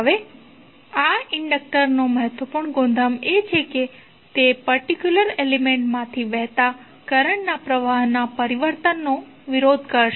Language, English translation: Gujarati, Now, important property of this inductor is that it will oppose to the change of flow of current through that particular element